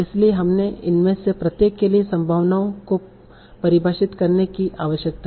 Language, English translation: Hindi, So I need to define probabilities for each of these